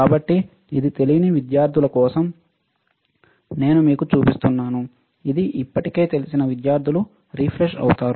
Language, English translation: Telugu, So, for those students who do not know this is what I am showing it to you for those students who already know it is kind of refreshed